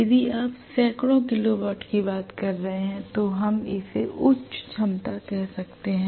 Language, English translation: Hindi, So if it is tens of kilo watts we may still call it as low capacity